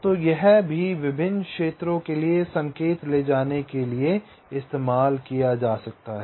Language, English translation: Hindi, so this can also be used to carry the signal to various regions or zones